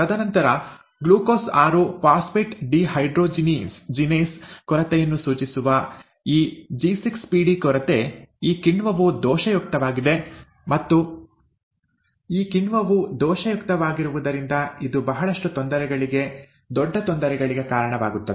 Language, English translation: Kannada, And then, this G6PD deficiency, which stands for ‘Glucose 6 Phosphate Dehydrogenase’ deficiency, this enzyme is faulty; and because this enzyme is faulty, it leads to a lot of difficulties, major difficulties, right